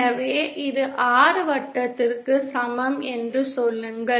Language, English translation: Tamil, So say this is the R equal to